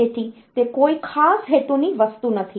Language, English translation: Gujarati, So, it is not a special purpose thing